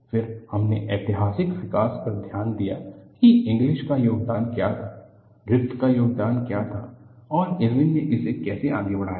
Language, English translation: Hindi, Then, we looked at historical development of what was the contribution of Inglis, what was the contribution of Griffith and how Irwin extended it